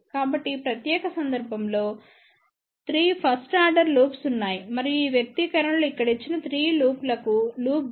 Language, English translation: Telugu, So, there are 3 first order loops in this particular case and the loop gain for these 3 loops given by these expressions here